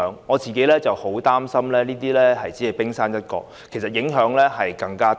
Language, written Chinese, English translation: Cantonese, 我個人十分擔心這只是冰山一角，真正的影響其實更大。, Personally I am extremely worried that this is just the tip of the iceberg and the real impact is actually much more serious